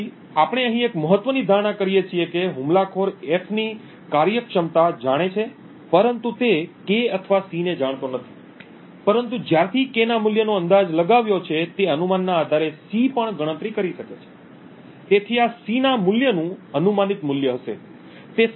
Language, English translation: Gujarati, So an important assumption that we make over here is that the attacker knows the functionality of F but does not know K nor C, but since has guessed the value of K he can also compute C based on that guess, so this would be essentially guessed value of C